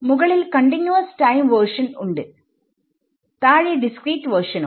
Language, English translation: Malayalam, On top, I have the continuous time version bottom is the discrete version right